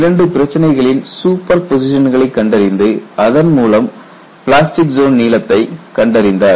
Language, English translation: Tamil, He identified superposition of two problems and he obtained the plastic zone length